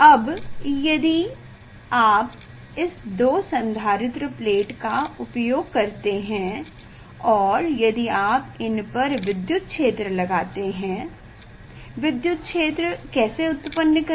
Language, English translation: Hindi, Now, if you use this two capacitor plate, so if you apply electric field; how to generate electric field